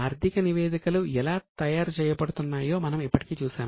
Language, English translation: Telugu, We have already seen how financial statements are prepared